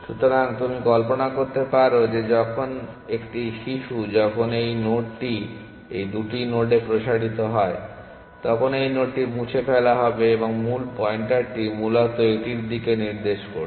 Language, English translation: Bengali, So, you can imagine that when a child when this node is expanded into these 2 nodes then this will be deleted this node will be deleted and the parent pointer would be pointed to this essentially